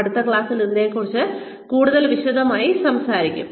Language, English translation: Malayalam, We will talk more about this in detail in the next class